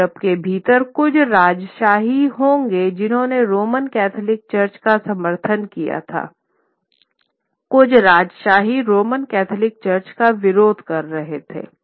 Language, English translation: Hindi, So, within Europe there would be certain monarchies who supported the Roman Catholic Church, certain monarchs who would oppose the Roman Catholic Church